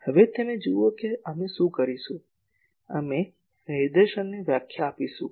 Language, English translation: Gujarati, Now, you see what we will do, we will define directivity